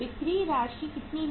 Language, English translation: Hindi, How much is the sales amount